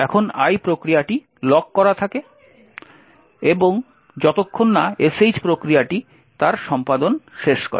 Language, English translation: Bengali, Now the one process is locked until the sh process completes its execution